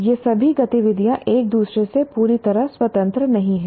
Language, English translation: Hindi, All these activities are not completely independent of each other